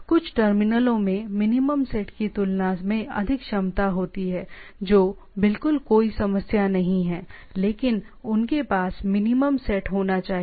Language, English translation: Hindi, Some terminal have more capability than the minimal set that is absolutely no issue, but they should have a minimal set